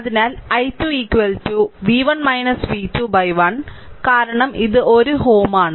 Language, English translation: Malayalam, So, i 2 is equal to v 1 minus v 2 by 1 because it is 1 ohm right